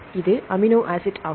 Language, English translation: Tamil, It is the amino acid